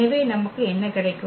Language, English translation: Tamil, So, what we will get